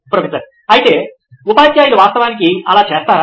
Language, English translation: Telugu, But do teachers actually do that